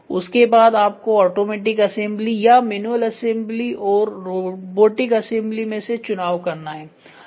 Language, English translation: Hindi, And then start choosing for automatic assembly or manual assembly or robotic assembly